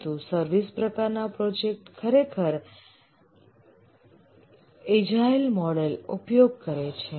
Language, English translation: Gujarati, But for services type of projects, typically the agile models are used